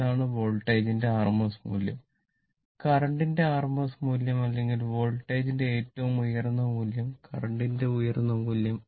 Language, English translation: Malayalam, That is, rms value rms value of the voltage rms value of the current or peak value of the voltage peak value of the current right